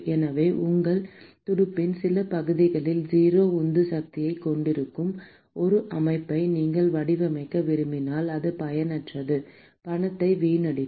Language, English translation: Tamil, So, you do not want to design a system where some parts of your fin is going to have a 0 driving force that is useless it is a waste of money